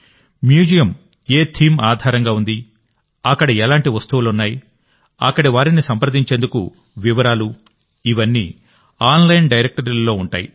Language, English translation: Telugu, On what theme the museum is based, what kind of objects are kept there, what their contact details are all this is collated in an online directory